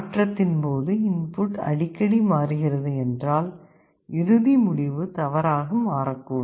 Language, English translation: Tamil, During conversion if the input itself is changing, the final result may become erroneous